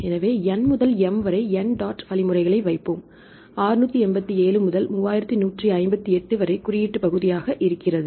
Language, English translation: Tamil, So, we will put n dot dot means from n to m for example, 687 to 3158 see this is the coding region